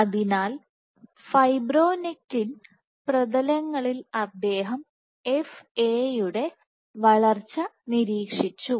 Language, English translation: Malayalam, So, in fibronectin surfaces he observed FA growth